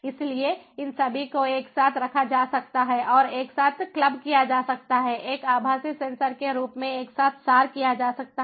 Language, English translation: Hindi, they all can be put together and clap together, abstract it together as a virtual sensor, as a virtual sensor